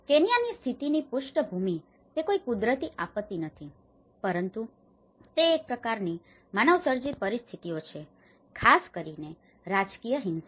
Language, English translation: Gujarati, The background of Kenyan condition, it is not a natural disaster but it is a kind of manmade situations especially the political violence